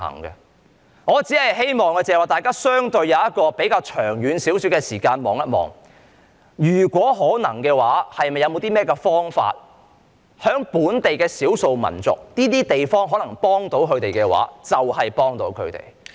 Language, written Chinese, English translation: Cantonese, 因此，我只希望大家相應以比較長遠的眼光來看待此事，如果可能的話，看看有甚麼方法可以幫助本地的少數民族，能幫助到他們的話就盡量給予幫助。, So I just hope that everybody will accordingly look at this matter from a longer - term perspective and if possible see what can be done to help the local ethnic minorities as far as practicable